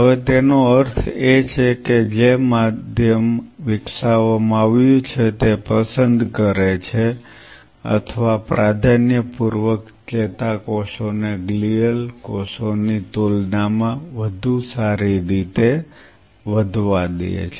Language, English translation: Gujarati, Now that means that the medium which has been developed selects or preferentially allows the neurons to grow better as compared to the glial cells